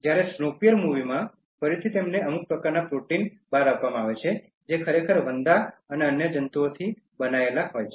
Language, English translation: Gujarati, Whereas, in Snowpiercer again they are given some kind of protein bars which are actually made of cockroaches and other insects